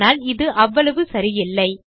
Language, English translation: Tamil, This isnt actually right